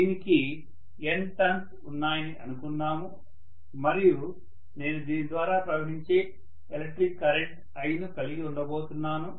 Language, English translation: Telugu, So let us say it has N turns and let us say I am going to have an electric current of I flowing through this, okay